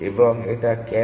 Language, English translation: Bengali, And why is that